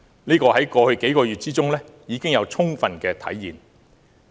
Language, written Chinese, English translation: Cantonese, 在過去數個月中，這已充分體現。, This intention has been clearly seen in the past few months